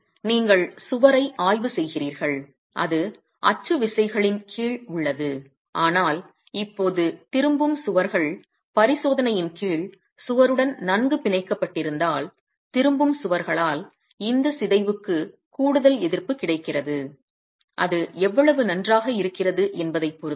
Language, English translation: Tamil, So you are examining the wall and it is under axial forces but now if the return walls are well bonded to the wall under examination, there is an additional resistance that is available to this deformation by the return walls